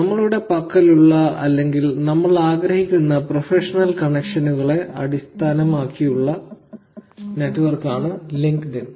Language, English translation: Malayalam, LinkedIn , okay, the network is based on the professional connections that we would like to have or we have, but this is more the traditional type of social networks